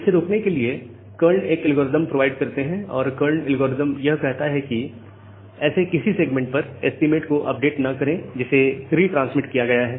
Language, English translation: Hindi, Now, to prevent this Karn provides an algorithm and the Karns algorithm says that do not update the estimates on any segments that has been retransmitted